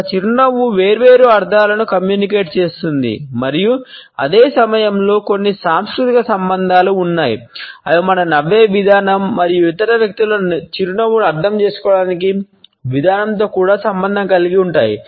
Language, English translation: Telugu, A smiles communicate different connotations and at the same time there are certain cultural associations which are also associated with the way we smile and the way in which we interpret the smile of other people